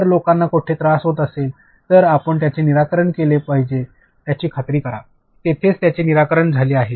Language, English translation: Marathi, If people are having trouble somewhere, you make sure that it is solved, it is resolved there itself